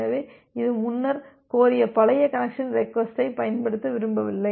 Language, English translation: Tamil, So, it do not want to use that old connection request that it has requested earlier